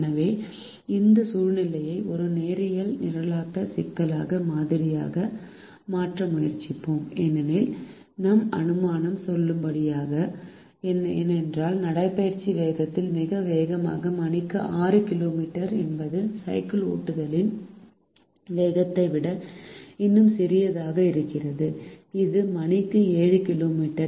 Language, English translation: Tamil, so we will try to model this situation as a linear programming problem and our assumption is valid because the the fastest the walking speed, which is six kilometer per hour, is still smaller than the slowest of the cycling speed, which is seven kilometers per hour